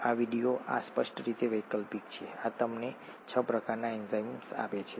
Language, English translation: Gujarati, This video, this is optional clearly this gives you the six types of enzymes